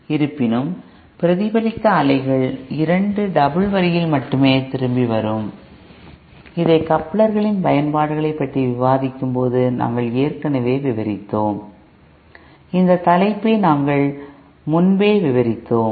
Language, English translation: Tamil, However, the reflected waves will come back only at 2 double dash, this we had already discussed you know while discussing the applications of couplers, we had covered this topic earlier